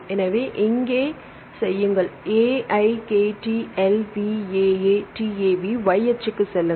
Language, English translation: Tamil, So, do it here AIKTLVAATAV right go the y axis